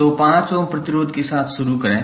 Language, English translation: Hindi, So, start with the 5 ohm resistance